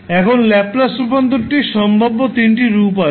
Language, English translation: Bengali, Now, there are three possible forms of the trans, the Laplace transform